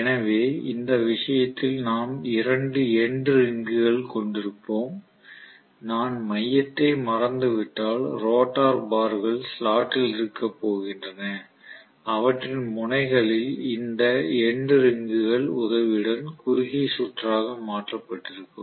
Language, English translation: Tamil, So what we are going to have in this case is two end rings will be there, if I forget about the core I am going to have essentially the rotor bars being you know in the slot and at the ends they are going to be essentially short circuited with the help of something called end rings, so this is the end ring